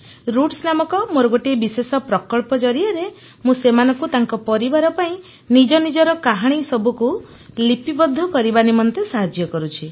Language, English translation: Odia, In my special project called 'Roots' where I help them document their life stories for their families